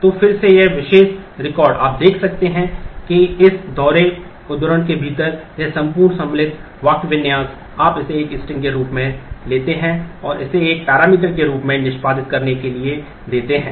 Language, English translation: Hindi, So, again this particular record, you can see that within this double quote, this whole insert syntax you take that as a string and just give it to execute as a parameter